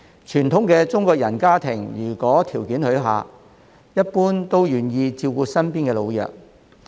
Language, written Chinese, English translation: Cantonese, 傳統的中國人家庭如果條件許可，一般都願意照顧身邊的老弱。, In traditional Chinese families people are generally willing to take care of the elderly and the weak around them if conditions permit